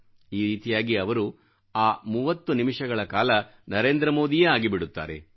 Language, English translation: Kannada, In this way for those 30 minutes they become Narendra Modi